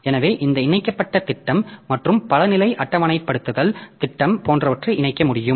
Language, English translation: Tamil, So, this linked scheme and multi level indexing scheme they can be combined like that